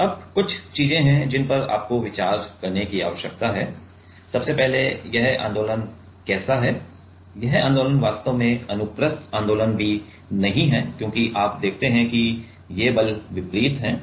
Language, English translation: Hindi, Now, there are a few things you need to consider; first of all how this movements are this movement is actually not even transverse movement because you see that these forces are distributed